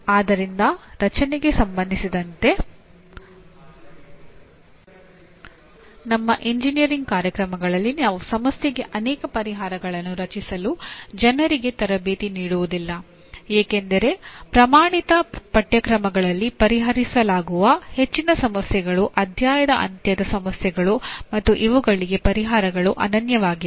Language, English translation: Kannada, So create, actually in our engineering programs we do not train people for creating multiple solutions to a problem because most of the problems that are addressed in the standard courses are end of the chapter problems where the answers are unique